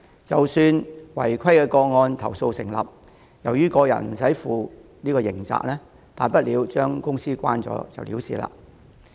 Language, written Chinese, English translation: Cantonese, 即使違規投訴成立，由於個人無須負刑責，負責人大不了將公司關閉了事。, Even if the complaint about the contravention is substantiated given that no individual will incur any criminal liability the responsible persons may simply settle the case by closing their business